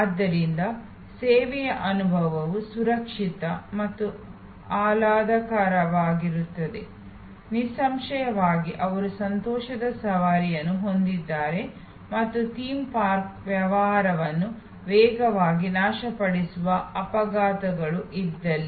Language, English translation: Kannada, So, that the service experience is safe, secure and pleasurable it is; obviously, if they have although joy rides and there are accidents that can destroy a theme park business right fast